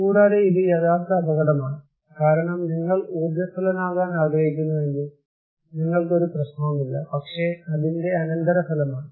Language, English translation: Malayalam, Also, this is actual danger because if you want to be flamboyant, you can be, no problem but that is the consequence